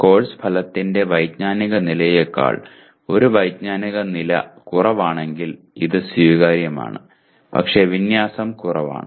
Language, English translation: Malayalam, If it is one cognitive level lower than the cognitive level of the course outcome it is acceptable but less alignment